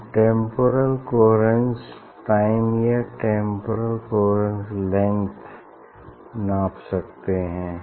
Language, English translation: Hindi, one can measure the temporal coherence time or temporal coherence length, what is temporal coherence time and temporal coherence length